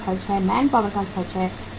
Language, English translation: Hindi, Manpower cost is there